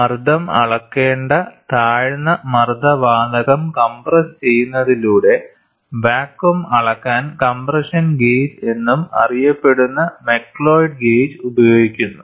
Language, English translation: Malayalam, McLeod gauge which is also known as the compression gauge is used for vacuum measurement, by compressing the low pressure gas whose pressure is to be measured